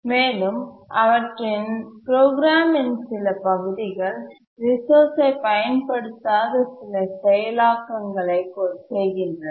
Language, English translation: Tamil, They have some part of the program where they do some processing without using the resource